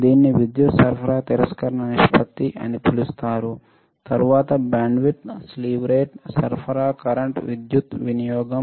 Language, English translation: Telugu, This is another called power supply rejection ratio then bandwidth right slew rate supply current power consumption